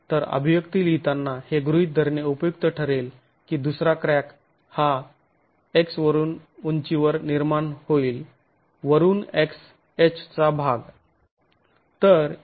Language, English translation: Marathi, So, it's useful to write this expression assuming that the second crack will form at a, at a height X from the top, X of H from the top